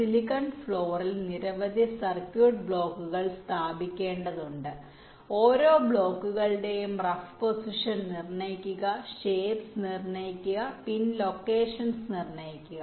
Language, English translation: Malayalam, a number of circuit block have to be laid out on the silicon floor, determine the rough position of each of the blocks, determine the shapes, determine the pin locations